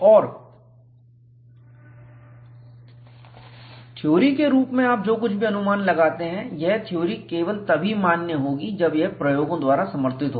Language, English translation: Hindi, And whatever you conjecture as theory, it would be a valid theory, only when it is supported by experiments